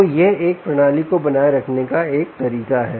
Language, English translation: Hindi, right, so thats one way of maintaining a system